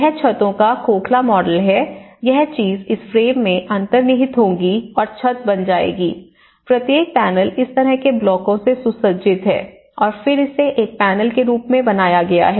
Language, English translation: Hindi, But then this is a hollow brick model of roofs, what they do is these things will embedded into this frame and that becomes into the roof, you know so each panel is fitted with these kind of blocks and then it composed as one panel